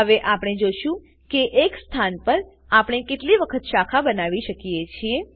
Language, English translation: Gujarati, Lets see how many times we can branch at one position